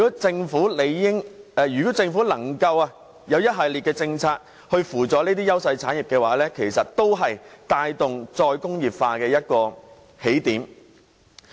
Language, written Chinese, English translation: Cantonese, 政府如可推出一系列政策輔助這些優勢產業，其實也是帶動"再工業化"的一個起點。, If the Government can introduce a series of policies to assist these industries enjoying clear advantages it will be the beginning of re - industrialization